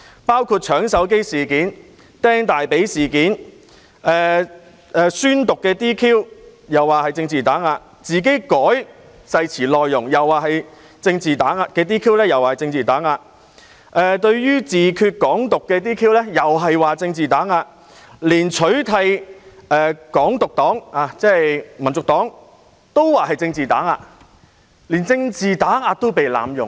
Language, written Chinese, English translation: Cantonese, 包括"搶手機"事件；"釘大腿"事件；宣誓被 "DQ" 亦說是被政治打壓；自行修改誓詞內容被 "DQ" 又說是政治打壓；對於"自決"、"港獨"的 "DQ" 又說是政治打壓，連取締"港獨黨"——即香港民族黨——都說是政治打壓，連政治打壓亦被濫用。, Their being disqualified when they took the liberty to change the oathaffirmation is also said to be political suppression . Disqualification with respect to self - determination and Hong Kong independence is also said to be political suppression . Even the ban on the party advocating for Hong Kong independence―that is the Hong Kong National Party―is said to be political suppression as well